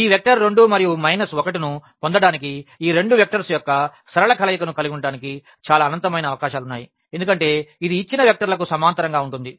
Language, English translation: Telugu, There are so, many infinitely many possibilities to have this linear combination of these two vectors to get this vector 2 and minus 1 because, this is parallel to the given vectors